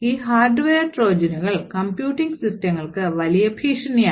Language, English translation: Malayalam, So, these are other flaws and these hardware Trojans are big threat to computing systems